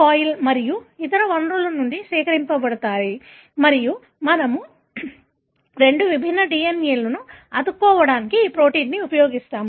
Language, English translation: Telugu, coli and other such sources and we use this protein to stick the two different DNA